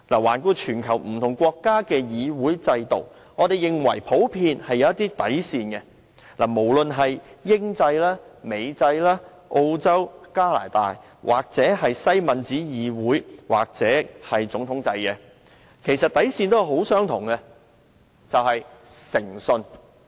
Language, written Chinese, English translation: Cantonese, 環顧全球不同國家的議會制度，我們認為普遍是有一些底線，無論是英制、美制、澳洲或加拿大，無論是西敏寺議會制度或總統制，其實底線都相同，就是誠信。, Considering the parliamentary systems of different countries around the world we note that there is generally a bottom line which can be applied for the British or American systems or in Australia or Canada or for the Westminster system or the presidential system . The same bottom line which I am talking about is integrity